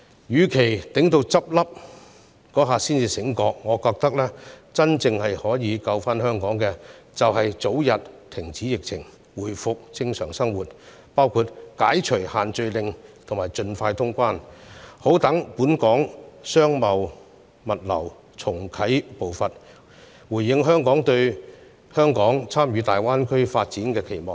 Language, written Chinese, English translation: Cantonese, 與其待他們結業時才醒覺——我認為真正可以拯救香港的，是盡早遏止疫情，讓生活回復正常，包括解除限聚令及盡快通關，好讓本港商貿和物流界重啟步伐，回應香港對參與大灣區發展的期望。, Instead of not being alarmed until their closures I think that completely bringing the pandemic under control as early as possible is what can really save Hong Kong because peoples normal way of life can be resumed then including that the restrictions on group gatherings be lifted and cross - boundary travel be allowed as soon as possible so that the local business and logistics sectors can move on again and respond to Hong Kongs expectations of taking part in the development of the Greater Bay Area